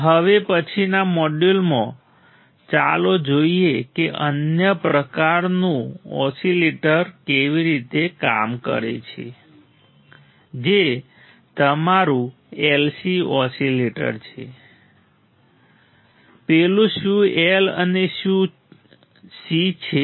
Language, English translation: Gujarati, So, in the next module let us see how the another kind of oscillator works that is your LC oscillator; what is that